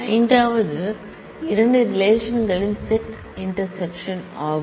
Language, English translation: Tamil, Fifth is a set intersection of 2 relations